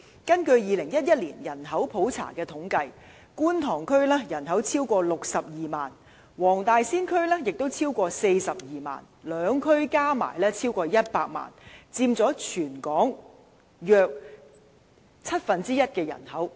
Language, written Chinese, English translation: Cantonese, 根據2011年的人口普查，觀塘區的人口超過62萬，黃大仙區也超過42萬，兩區加起來超過100萬，佔全港人口約七分之一。, According to the 2011 Population Census the population of the Kwun Tong District is over 620 000 and that of the Wong Tai Sin District is more than 420 000 and the population of the two districts combined numbers at over a million which makes up about one seventh of the total population of Hong Kong